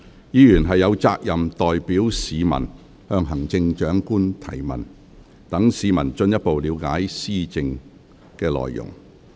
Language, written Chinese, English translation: Cantonese, 議員有責任代表市民向行政長官提問，讓市民進一步了解施政內容。, Members are duty - bound to put questions to the Chief Executive on behalf of members of the public so that they can have a better understanding of the implementation of policies